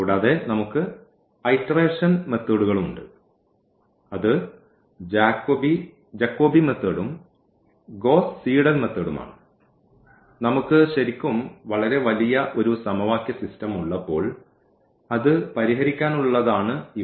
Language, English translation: Malayalam, And, we have iterative methods that is the Jacobi and the Gauss Seidel method for solving when we have a system of equations which is large in number so, really a very large system